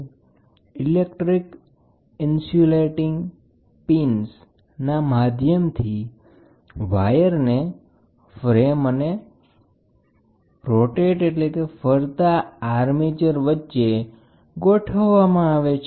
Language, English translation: Gujarati, Using electrical insulating pins, the wires are located to the frame and a moving armature